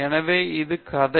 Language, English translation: Tamil, So, this is the story